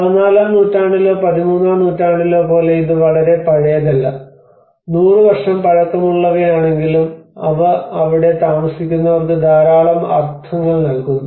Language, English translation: Malayalam, It is not very old like 14th or 13th century, there are hardly 100 year old but still they carry a lot of meanings to those people who live there